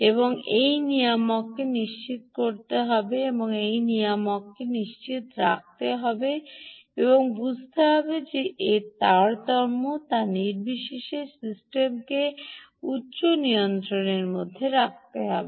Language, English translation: Bengali, this regulator has to ensure that, irrespective of what the, how the load is varying, it has to keep the system under high regulation